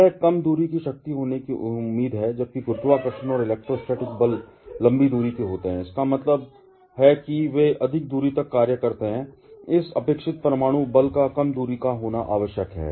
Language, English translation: Hindi, That is expected to be a short range force, while gravitational and electrostatic forces are long range that means, they act over longer distance, this expected nuclear force has to be a short range one